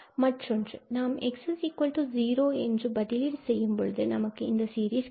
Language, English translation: Tamil, For another one, when we put x equal to 0, we will get the series which we were getting in this desired series